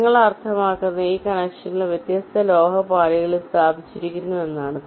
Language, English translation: Malayalam, colors means these connections are laid out on different metal layers